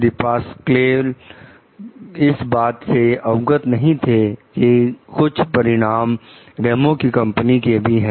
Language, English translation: Hindi, Depasquale is unaware that some of the results come from Ramos s company